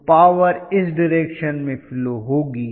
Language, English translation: Hindi, So the power is flowing in this direction right